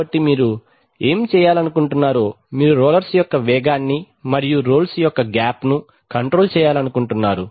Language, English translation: Telugu, So in rolling what you want to do is, you want to control the speed of the rolls and the gap of the rolls